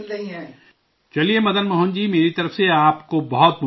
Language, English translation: Urdu, Well, Madan Mohan ji, I wish you all the best